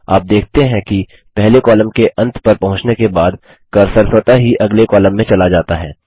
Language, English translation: Hindi, You see that the cursor automatically goes to the next column after it reaches the end of the first column